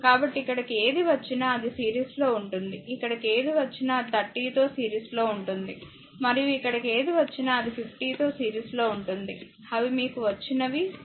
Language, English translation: Telugu, So, whatever will come here with the 13 it will be in series whatever will come here it will be in series is 30 and whatever will come here it will be in series in 40 that is whatever you have got 4 point 4 four 8